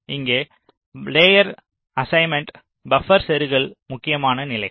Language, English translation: Tamil, so, layer assignment, buffer insertion, these are the important steps here